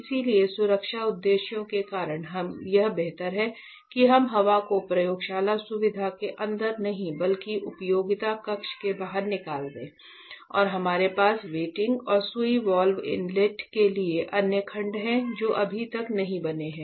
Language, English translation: Hindi, So, for that exhaust is here; so that is because of safety purposes which it is better that we exhaust these air outside to the utility room not inside the lab facility and we have other sections for venting and needle valve inlet which are yet to be made